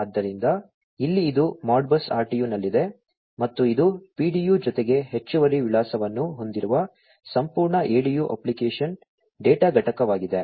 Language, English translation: Kannada, So, here it is in the Modbus RTU and, this is the whole ADU the application data unit, which has the PDU plus the additional address